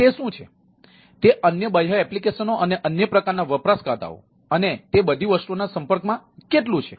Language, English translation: Gujarati, how much it is exposed to the external other applications and other type of ah users and all those things